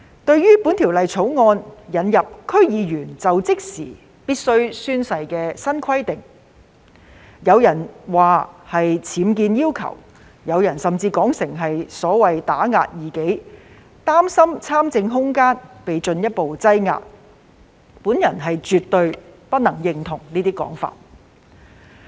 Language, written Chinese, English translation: Cantonese, 對於《條例草案》引入區議員在就職時須宣誓的新規定，有人批評是僭建要求，有人甚至說是打壓異己，擔心參政空間會進一步縮窄，我絕對不認同這些說法。, As regards the proposal in the Bill to introduce new requirement for members of the District Councils to take an oath when assuming office some people have criticized it for imposing additional requirement . Some even described it as an attempt to suppress dissidents worrying that this will further curtail the room for political participation . I absolutely disagree with these views